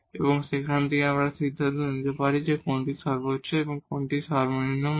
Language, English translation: Bengali, And, from there we can conclude which is the maximum value and which is the minimum value